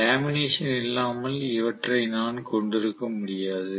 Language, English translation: Tamil, So obviously I cannot have them without lamination